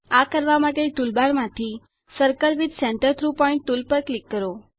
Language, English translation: Gujarati, To do this click on the Circle with Centre through Point tool